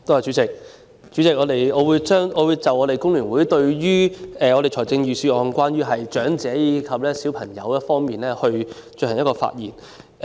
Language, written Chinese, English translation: Cantonese, 代理主席，我代表香港工會聯合會對財政預算案有關長者及小朋友的內容發表意見。, Deputy President on behalf of the Hong Kong Federation of Trade Unions FTU I would like to express some views on the contents of the Budget about the elderly and children